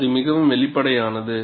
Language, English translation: Tamil, And this is obvious